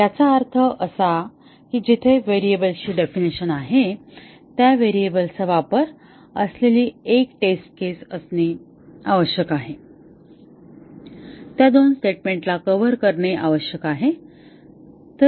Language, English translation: Marathi, That means that wherever there is a definition of a variable, the uses of that variable must be a test case, must cover those two statements